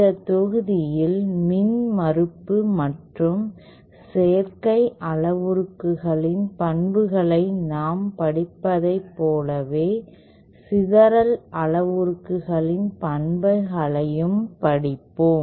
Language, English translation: Tamil, In this module we shall be studying the properties of the scattering parameters just like we studied the properties of the impedance and admittance parameters